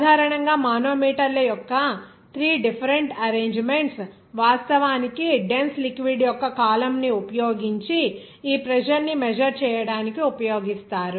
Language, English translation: Telugu, Basically, 3 different arrangements of the manometers are actually used to measure this pressure using a column of a dense liquid